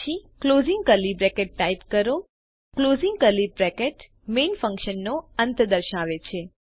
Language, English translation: Gujarati, Then Type closing curly bracket } The closing curly bracket indicates the end of the function main